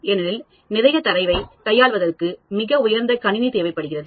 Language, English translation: Tamil, Because handling lot of data requires very high end computing